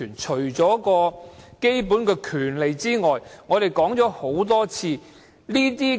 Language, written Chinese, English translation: Cantonese, 除了基本權利外，為何我一定要爭取復職權？, Why do I insist to fight for the right to reinstatement apart from the fact that it is a basic right?